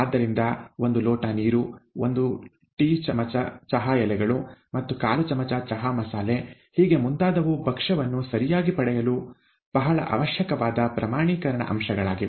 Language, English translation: Kannada, So the quantification, one glass of water, one teaspoon of tea leaves and quarter teaspoon of chai masala and so on and so forth are very essential aspects to get the dish right